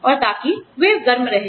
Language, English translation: Hindi, And, so that, they stay warm